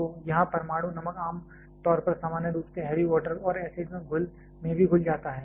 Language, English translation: Hindi, So, here the nuclear salt is generally dissolved in normally heavy water and also acid